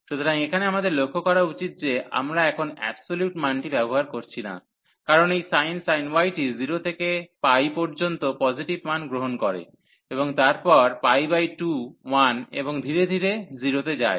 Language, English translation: Bengali, So, here we should note that we have we are not using now the absolute value, because the this sin y is will take positive values from 0 to pi takes value 0 there, and then at pi by 2 1, and then gradually goes to 0